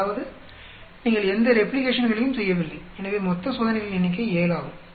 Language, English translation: Tamil, That means you have not done any replications so total number of experiments are 7